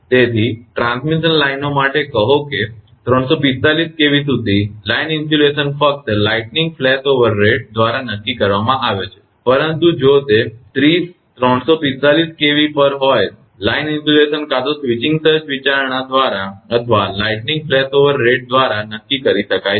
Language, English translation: Gujarati, So, for transmission lines say up to 345 the kV line insulation is determined by lightning flashover rate only, but if it is at 30, 345 kV the line insulation may be dictated by either switching surge consideration or by the lightning flashover rate